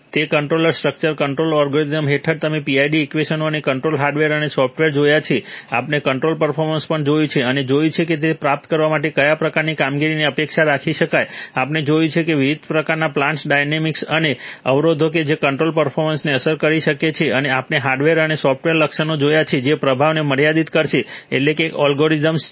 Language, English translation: Gujarati, In under that control structures control algorithms, you have seen the PID equations and the control hardware and the software, we have also seen, looked at control performance and seen that what kind of performance can be expected is reasonable to achieve, we have seen the various kinds of plant dynamics and constraints that can affect control performance and we have seen the hardware and software features which will limit performance, that is of course algorithms